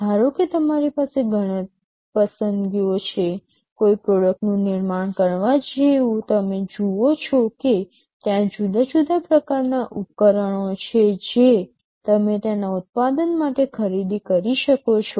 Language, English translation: Gujarati, Suppose you have several choices; like to manufacture a product you see that there are several different kind of equipments you can purchase to manufacture them